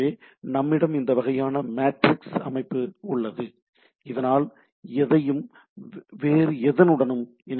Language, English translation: Tamil, So we have this sort of a matrix type of things so anybody can connect to the any other resources